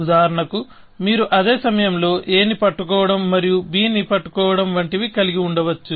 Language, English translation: Telugu, So, for example, you might have something, like holding a and holding b, at the same time